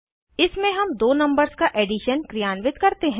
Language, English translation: Hindi, In this we perform addition of two numbers a and b